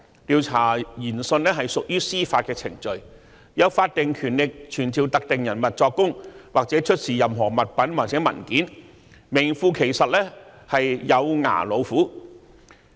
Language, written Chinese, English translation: Cantonese, 調查研訊屬於司法程序，有法定權力傳召特定人物作供或出示任何物品或文件，是名副其實的"有牙老虎"。, The inquiry is deemed as judicial proceedings and the Commission has the statutory power to summon any person to give evidence or to produce any article or document so it is a veritable sharp - toothed tiger